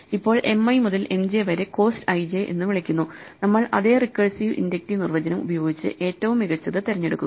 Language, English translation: Malayalam, So, M i to M j is called cost i j, and we use this same recursive inductive definition choose the best